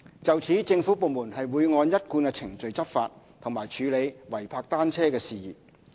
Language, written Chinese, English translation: Cantonese, 就此，政府部門會按一貫程序執法和處理違泊單車事宜。, Relevant government departments will take enforcement action and handle illegal bicycle parking in accordance with the established practice